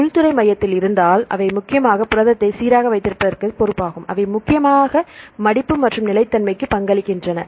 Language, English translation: Tamil, If that is at the interior core, they are responsible mainly for keeping the protein stable, right they are mainly contributing to the folding and the stability